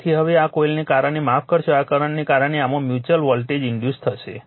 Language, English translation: Gujarati, So, now, this one now because of this coil the sorry because of this current a mutual voltage will be induce in this